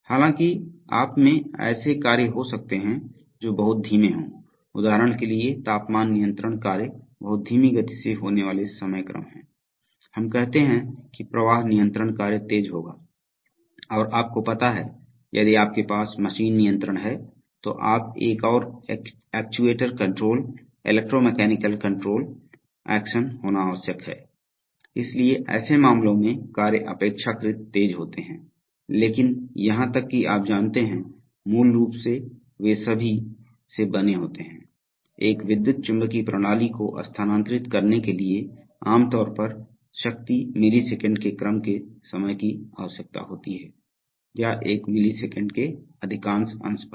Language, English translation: Hindi, Although among themselves there could be tasks which are very slow, for example temperature control tasks are very slow having time constants of the order of minutes, let us say flow control tasks would be faster and if you have a machine control or you know, you have to have a and actuator control, electromechanical control actions, so in such cases the tasks are relatively faster but even those you know, basically they are all made of, to move, to move an electromechanical system with a certain finite amount of power generally requires times of the order of milliseconds or at most a fraction of a millisecond